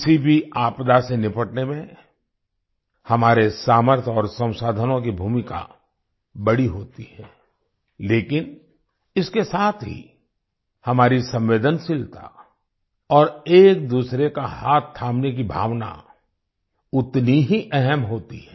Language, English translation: Hindi, Our capabilities and resources play a big role in dealing with any disaster but at the same time, our sensitivity and the spirit of handholding is equally important